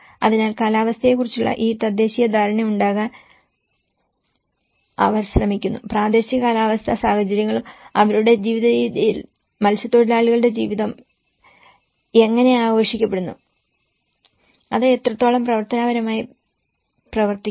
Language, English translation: Malayalam, So, they try to have this indigenous understanding of climatic, the local climatic conditions and it will also serving their way of life, how the fisherman's life is also celebrated and how functionally it works